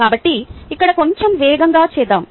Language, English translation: Telugu, so let me do it a little fast here